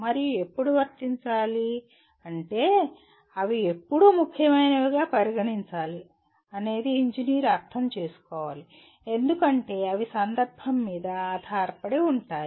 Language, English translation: Telugu, And to that extent when to apply, when they become important an engineer needs to understand, because they are context dependent